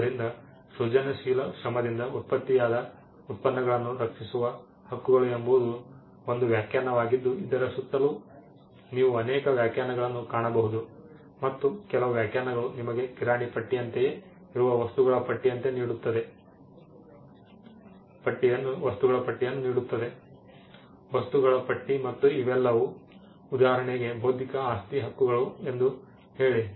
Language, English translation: Kannada, So, one definition the rights that protect the products of creative Labour that is another definition you will find multiple definitions around this and some definitions would actually give you a list of things it is more like a grocery list; a list of things and say that these are all intellectual property rights for instance